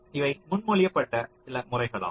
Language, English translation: Tamil, so these are some methods which have been proposed